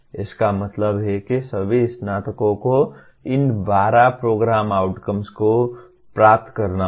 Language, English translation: Hindi, That means all graduates will have to attain these 12 Program Outcomes